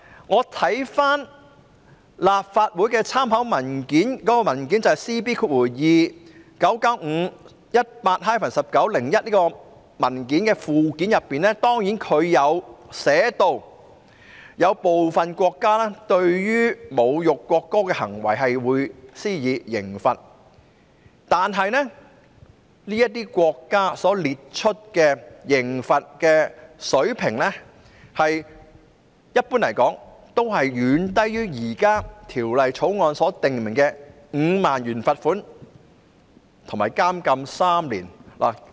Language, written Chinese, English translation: Cantonese, 我翻閱了立法會文件 CB2995/18-19 的附件，當中列出其他國家對侮辱國歌的行為所施加的刑罰，但這些國家的刑罰水平，一般來說也遠低於現時《條例草案》所訂明的5萬元罰款及監禁3年。, I have read the Annex to LC Paper No . CB299518 - 1901 which listed out the penalties for behaviours insulting the national anthem in other countries but the levels of penalty in these countries are generally far lower than the 50,000 fine and three years imprisonment as provided for in the Bill